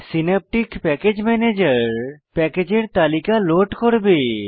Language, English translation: Bengali, Immediately, Synaptic Package Manager will load the package list